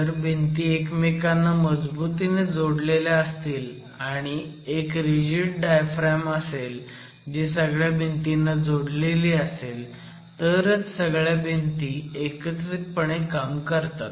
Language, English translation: Marathi, Unless the connections between the walls are good and unless you have a rigid diaphragm that is connected to all the walls well, the masonry walls will actually act independently